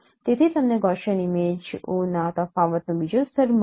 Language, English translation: Gujarati, So you get the second layer of difference of Gaussian images